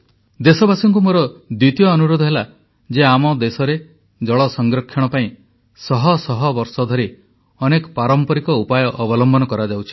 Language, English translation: Odia, My second request to the countrymen is to share many traditional methods that have been in use over the centuries in our country for the conservation of water